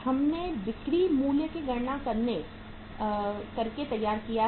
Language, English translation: Hindi, We have prepared by calculating the sales value